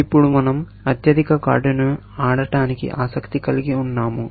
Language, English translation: Telugu, Now, we are interested in playing the highest card